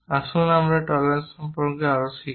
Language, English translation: Bengali, Let us learn more about these tolerances